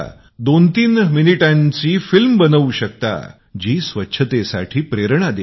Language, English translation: Marathi, You can film a twothreeminute movie that inspires cleanliness